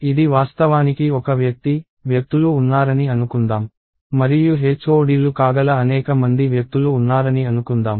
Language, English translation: Telugu, So, it is actually a person, so let us assume that there are people and there are several people who could be HOD’s